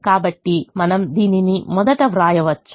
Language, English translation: Telugu, so we can write this first